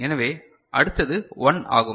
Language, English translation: Tamil, So, next one is 1